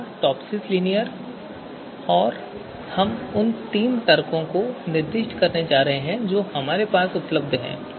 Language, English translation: Hindi, So first one is TOPSIS linear and we are going to specify you know these three arguments are available with us